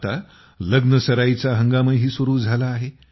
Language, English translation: Marathi, The wedding season as wellhas commenced now